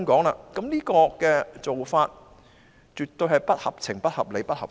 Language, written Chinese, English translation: Cantonese, 我認為這種做法絕對不合情、不合理、不合法。, I consider this move absolutely insensible unreasonable and unlawful